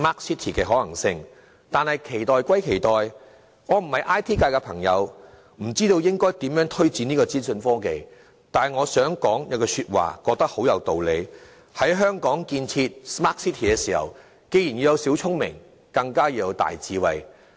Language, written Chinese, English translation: Cantonese, 市民當然有所期待，我並非 IT 界人士，不知道應如何推展資訊科技。但業界有一句話，我認為很有道理：在香港建設 Smart City， 既要有小聰明，更要有大智慧。, I have no idea how to take forward the development of information technology since I am not from the IT sector but there is saying in the IT sector which I find very true The construction of a Smart City in Hong Kong calls for both petty cleverness and great wisdom